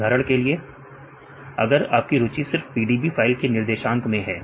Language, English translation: Hindi, PDB right for example, if you are interested only on the coordinates in the PDB file right